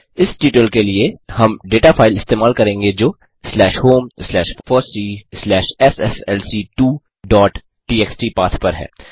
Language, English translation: Hindi, For this tutorial, we will use data file that is at the path slash home slash fossee slash sslc2 dot txt